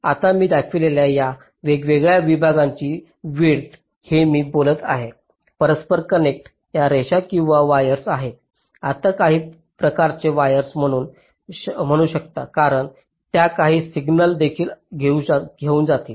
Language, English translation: Marathi, these are the interconnects i am talking, these are the lines or wires you can say some kind of wires, because they will be carrying some signals